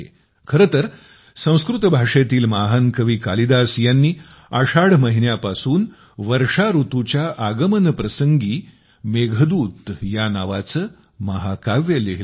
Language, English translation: Marathi, Actually, the great Sanskrit poet Kalidas wrote the Meghdootam on the arrival of rain from the month of Ashadh